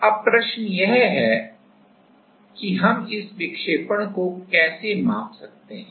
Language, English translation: Hindi, Now, the question is that how we can measure this deflection